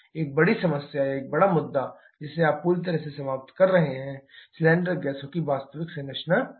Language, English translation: Hindi, A bigger problem or bigger issue that you are completely eliminating is the actual composition of cylinder gases